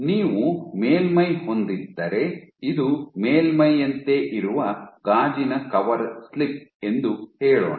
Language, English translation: Kannada, If you have the top surface let say this is your glass coverslip top surface